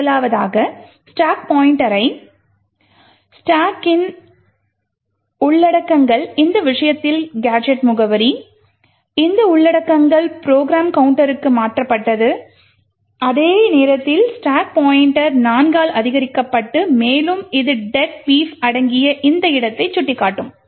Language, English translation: Tamil, First, the contents of the stack pointed to by the stack pointer which in this case is gadget address, this contents would get moved into the program counter, at the same time the stack pointer would be incremented by 4 and would point to this location comprising of deadbeef